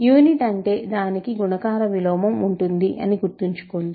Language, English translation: Telugu, Unit remember means, it has a multiplicative inverse